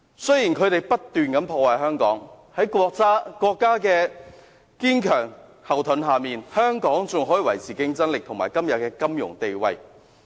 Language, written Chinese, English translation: Cantonese, 雖然他們不斷破壞香港，但有國家作為堅強後盾，香港仍能維持競爭力和今天的金融地位。, They have been harming Hong Kong continuously but with the strong backing of the country Hong Kong is still able to maintain its competitiveness and its financial status today